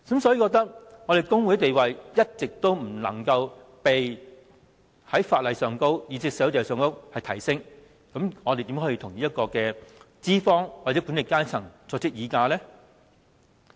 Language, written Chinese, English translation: Cantonese, 如果工會的地位在法例或社會上，一直無法提升，我們如何能與資方或管理階層議價呢？, If the status of trade unions cannot be enhanced under the law or in society how can workers bargain with employers or the management?